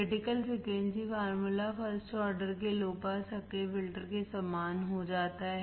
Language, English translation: Hindi, Critical frequency formula becomes similar to first order low pass active filter